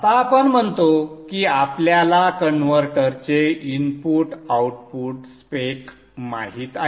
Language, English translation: Marathi, Now let us say we know the input output spec of the converter